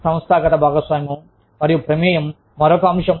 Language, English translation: Telugu, The organizational participation and involvement is another factor